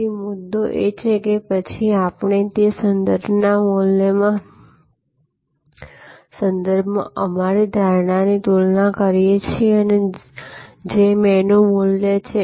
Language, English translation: Gujarati, So, the point is that, we then compare our perception with respect to that reference value, which is the menu value